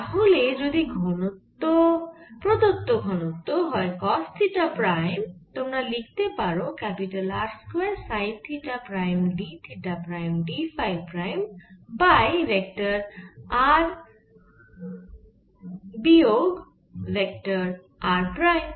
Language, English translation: Bengali, you can write this: i square sin theta prime, d theta prime, d phi prime over vector r minus vector r prime